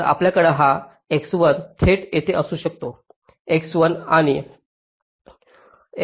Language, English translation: Marathi, so this z is also x one and x two, and of x one, x two